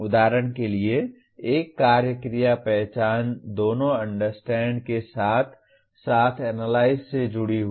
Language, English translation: Hindi, For example, one action verb namely “identify” is associated with both Understand as well as Analyze